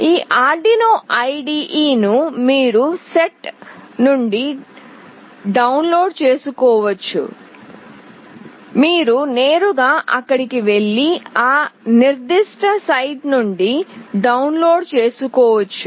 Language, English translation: Telugu, This Arduino IDE can be downloaded from this particular site, you can directly go there and download from that particular site